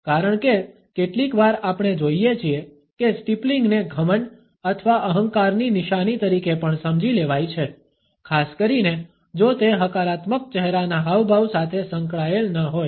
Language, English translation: Gujarati, Because sometimes we find that the steepling can also be understood as a mark of arrogance or smugness; particularly if it is not associated with positive facial expressions